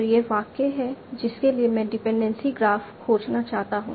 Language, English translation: Hindi, So this is a sentence for which I want to find a dependency graph